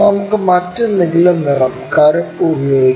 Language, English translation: Malayalam, Let us use some other color, black